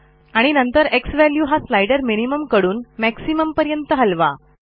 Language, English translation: Marathi, And then move the slider xValue from minimum to maximum